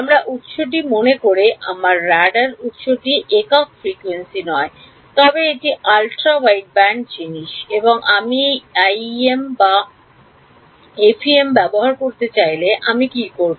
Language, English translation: Bengali, Supposing my source my let us my radar sources not single frequency, but it's ultra wideband thing and I wanted to use IEM or FEM then what would I do